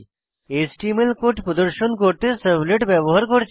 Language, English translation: Bengali, We used the servlet to display an HTML code